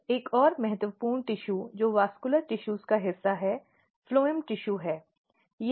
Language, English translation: Hindi, Now, another important tissue which is part of vascular tissues are phloem tissues if you look here